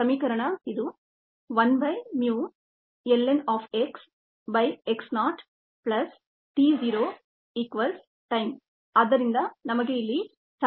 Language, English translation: Kannada, the equation was this: one by mu lon of x by x naught plus t zero equals, equals the t time